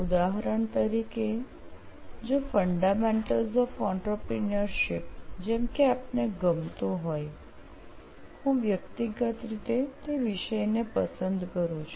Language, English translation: Gujarati, For example, if there is fundamental of entrepreneurship as a subject, like if you like, I personally like that subject